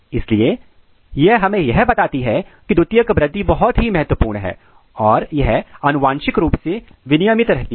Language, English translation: Hindi, So, this tells that the secondary growth is very important and it is genetically regulated